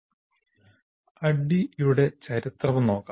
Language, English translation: Malayalam, Now a little bit of history of ADI